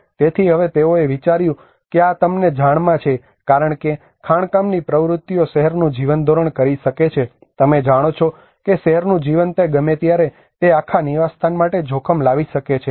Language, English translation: Gujarati, So now they thought that this is going to you know because the mining activities may hamper the living of the city, you know the city life it may anytime it can bring danger to that whole habitat